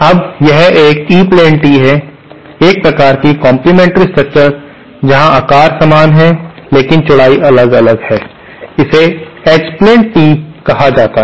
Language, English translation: Hindi, Now this is an E plane tee, a kind of complimentary structure where the shape is same but the widths are different is what is called an H plane tee